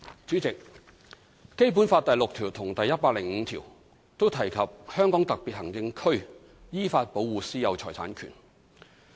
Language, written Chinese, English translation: Cantonese, 主席，《基本法》第六條及第一百零五條均提及香港特別行政區依法保護"私有財產權"。, President both Articles 6 and 105 of the Basic Law mention about the protection of the right of private ownership of property by the Hong Kong Special Administrative Region in accordance with law